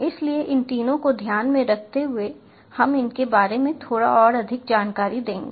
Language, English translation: Hindi, so, keeping these three in mind, we will dive into a bit more details about these